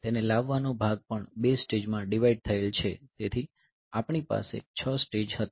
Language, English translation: Gujarati, So, the fetch part so, that is also divided into 2 stages so, we had the 6 stage